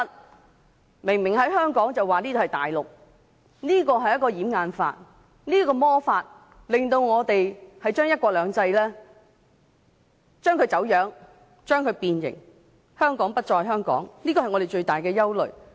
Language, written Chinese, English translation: Cantonese, 那裏明明是香港，卻被說成是大陸，這是一個掩眼法，這個魔法令我們的"一國兩制"原則變質、變形，令香港不再是香港，這是我們最大的憂慮。, It is a cover - up trick to turn an area conspicuously in Hong Kong into a Mainland area . After performing this magic trick our principle of one country two systems will become deteriorated and deformed and Hong Kong will no longer be the same Hong Kong which is our greatest worry